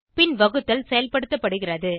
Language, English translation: Tamil, Then division is performed